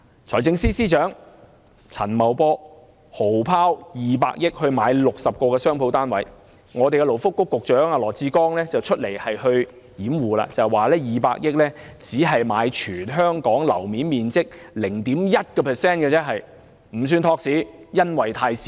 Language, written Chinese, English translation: Cantonese, 財政司司長陳茂波豪拋200億元購買60個商鋪單位，勞工及福利局局長羅致光就站出來辯護，說200億元只能買全港樓面面積的 0.1%， 金額太少，不算托市。, Financial Secretary Paul CHAN splurged 20 billion on 60 shop units while Secretary for Labour and Welfare Dr LAW Chi - kwong came forth to defend him saying that as 20 billion can only purchase 0.1 % of the total floor area in Hong Kong the amount is too small to prop up the market